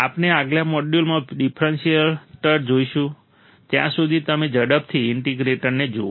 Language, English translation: Gujarati, We will see the differentiator in the next module, till then you just quickly see the integrator